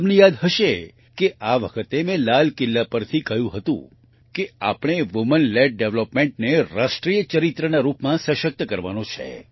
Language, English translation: Gujarati, You might remember this time I have expressed from Red Fort that we have to strengthen Women Led Development as a national character